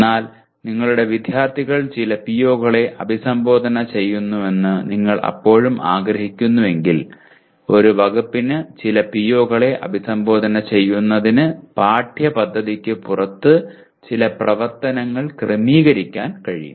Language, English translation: Malayalam, but if you still want your students to address some of the POs then a department can arrange some activities outside the curriculum to address some of the POs because they are required